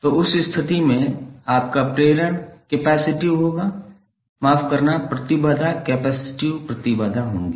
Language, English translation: Hindi, So in that case your inductance would be capacitive sorry the impedance would be capacitive impedance